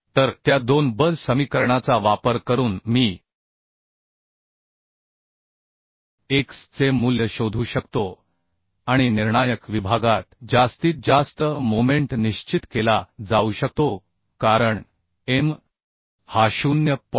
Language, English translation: Marathi, 5 So using those two force equation I can find out the value of x as this right And the maximum moment can be determined at the critical section as M is equal to 0